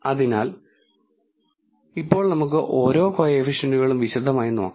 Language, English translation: Malayalam, So, now let us look at each of the coefficients in detail